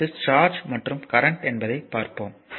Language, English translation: Tamil, Next is the charge and current